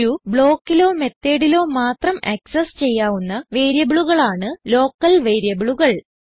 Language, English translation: Malayalam, Local variables are variables that are accessible within the method or block